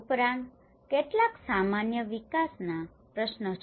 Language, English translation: Gujarati, Also, there are some general development issues